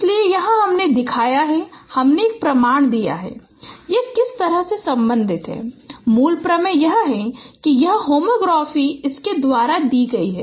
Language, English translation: Hindi, So here we shown, we have shown a proof that how it is related the the basic theorem is that this homography is given by this